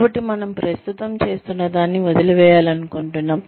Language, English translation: Telugu, So, we want to leave, what we are doing currently